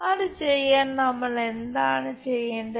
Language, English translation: Malayalam, To do that what we have to do